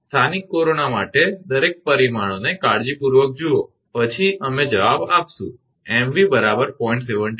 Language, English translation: Gujarati, For local corona look at the parameters carefully everything then we will answer mv is 0